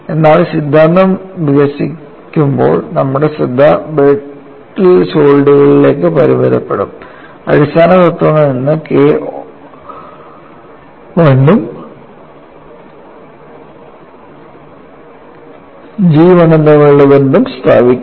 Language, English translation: Malayalam, But while developing the theory, we would confine our attention to brittle solids; establish the relationship between K 1 and G 1 from fundamental principles